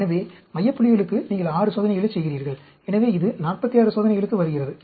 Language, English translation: Tamil, So, you do totally 6 experiments for center points; so, this comes to 46 experiments